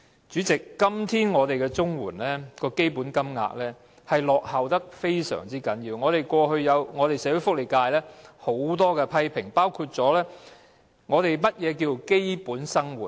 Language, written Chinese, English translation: Cantonese, 主席，今天綜緩的基本金額嚴重落後，社會福利界過去對此亦有很多批評，並提出何謂基本生活？, President the current standard rate of CSSA payment suffers a serious lag . The social welfare sector has made a lot of criticisms of it and raised the question of how basic living should be defined